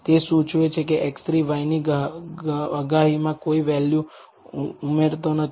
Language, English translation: Gujarati, It indicates that x 3 is not adding any value to the prediction of y